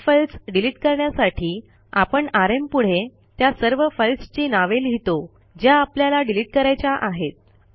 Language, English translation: Marathi, To delete multiple files we write rm and the name of the multiple files that we want to delete